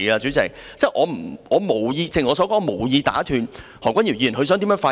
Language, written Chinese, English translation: Cantonese, 正如我所說，我無意打斷何君堯議員的發言。, As I said I do not mean to interrupt Dr Junius HOs speech